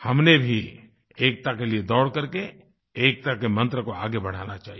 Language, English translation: Hindi, We also have to run for unity in order to promote the mantra of unity